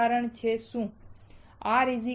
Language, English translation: Gujarati, What is an example